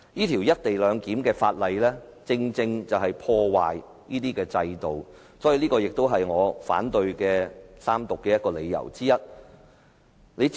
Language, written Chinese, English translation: Cantonese, 《條例草案》的目的正是在破壞制度，這是我反對《條例草案》三讀的理由之一。, The aim of the Bill is to upset our system and this is one of the reasons why I oppose the Third Reading of the Bill